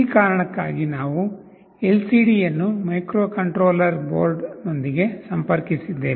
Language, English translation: Kannada, For this reason, we have also interfaced a LCD with the microcontroller board